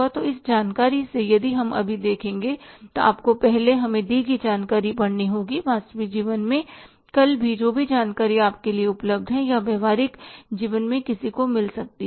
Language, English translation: Hindi, So from this information if you look at now you have to first read the information given to us in the in the real life tomorrow also whatever the information is available to you or maybe in the in the to anybody in the practical life